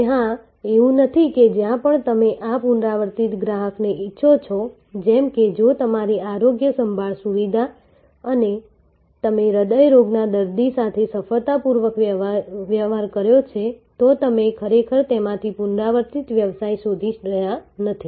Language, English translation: Gujarati, Now, of course, it is not that every where you want this repeat customer, like if a, your healthcare facility and you have successfully dealt with a cardiac patient, you are not really looking for a repeat business from that